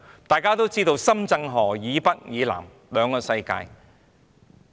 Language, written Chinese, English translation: Cantonese, 大家都知道，深圳河以北和以南是兩個不同的世界。, As we all know the world north of Shenzhen River is completely different from the world south of Shenzhen River